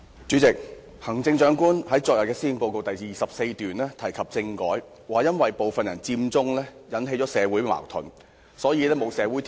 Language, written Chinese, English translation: Cantonese, 主席，行政長官昨天在施政報告第24段提及政改，指稱因為部分人佔中，引起了社會矛盾，所以缺乏重啟政改的社會條件。, President paragraph 24 of the Policy Address delivered by the Chief Executive yesterday is on constitutional reform . There she says that the Occupy Central movement launched by some people has led to social conflicts which is why we now lack the social conditions necessary for reactivating constitutional reform